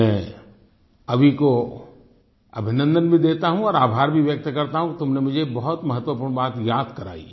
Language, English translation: Hindi, I greet Abhi and thank him for reminding me of this very important thing